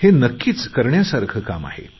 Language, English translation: Marathi, This is a task worth doing